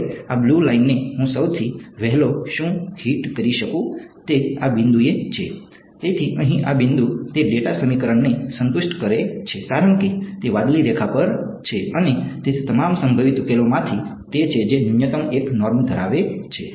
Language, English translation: Gujarati, Now, what is the earliest I can hit this blue line is at this point; so, this point over here it satisfies the data equation because it is on the blue line and it of all possible solutions it is that which has the minimum 1 norm right